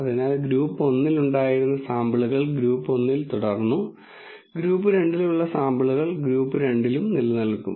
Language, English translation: Malayalam, So, whatever were the samples that were originally in group 1 remained in group 1 and whatever are the samples which are in group 2 re main in group 2